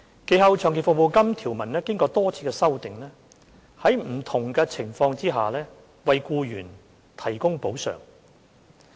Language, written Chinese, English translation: Cantonese, 其後，長期服務金條文經多次修訂，在不同的情況下，為僱員提供補償。, A number of amendments were subsequently made to the provisions on long service payment to provide compensation to employees under different circumstances